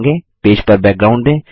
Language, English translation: Hindi, Give a background to the page